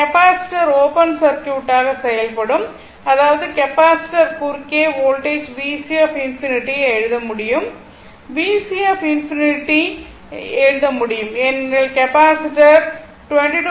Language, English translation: Tamil, So, this capacitor will act as open circuit right; that means, that means voltage across the capacitor say, we can write V C infinity right; say we can write V C infinity